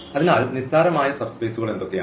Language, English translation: Malayalam, \ So, what are the trivial subspaces